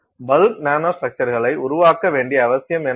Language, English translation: Tamil, So, what is the need to create bulk nanostructures